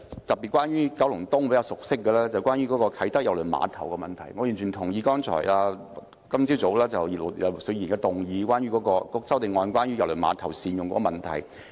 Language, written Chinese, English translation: Cantonese, 第一，關於我比較熟悉的九龍東啟德郵輪碼頭，我完全同意葉劉淑儀議員今天早上提出關於善用郵輪碼頭的修正案。, First I would like to talk about the Kai Tak Cruise Terminal KTCT at Kowloon East the development which I am quite familiar with . I completely concur with the amendment calling for the better use of KTCT proposed by Mrs Regina IP this morning